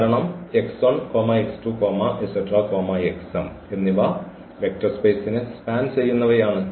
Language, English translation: Malayalam, So, here we talk about these 2 vector spaces